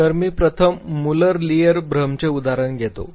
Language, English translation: Marathi, So, let me take the example of Muller Lyer illusion first